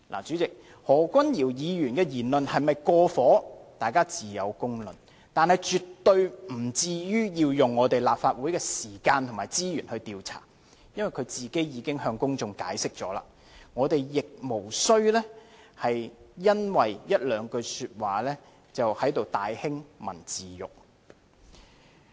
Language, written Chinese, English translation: Cantonese, 主席，何君堯議員的議論是否"過火"，自有公論，但絕對不致於要花立法會的時間和資源來調查，因為他個人已向公眾作出解釋，我們亦無須因為一兩句說話而在這裏大興文字獄。, President there will be public judgment on whether Dr Junius HO had gone too far with his speech but it is absolutely unnecessary to spend the time and resources of this Council for conducting inquiries into the matter given that he had already explained it to the public . And I think we need not make a fuss here of a few words that he had said